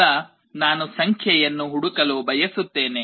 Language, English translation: Kannada, Now, I want to search for a number